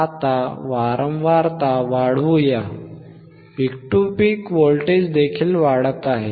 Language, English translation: Marathi, Now, let us increase the frequency, increase in the frequency you can also see that the peak to peak voltage is also increasing